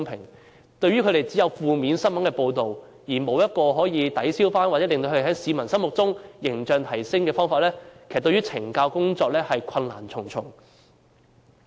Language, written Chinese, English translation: Cantonese, 對懲教人員而言，只有負面的新聞報道，而沒有可以提升他們在市民心中形象的方法，令懲教工作困難重重。, As there is only negative media coverage and nothing has been done to promote CSDs image in the mind of the public CSD officers find it increasingly difficult to carry out their correctional duties